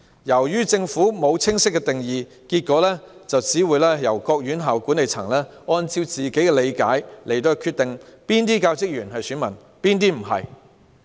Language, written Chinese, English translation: Cantonese, 由於政府沒有清晰定義，結果各院校管理層須按各自理解決定哪些教職員是選民，哪些不是。, As the Government does not have clear definitions the management of various institutions must respectively decide which teaching staff are voters and which are not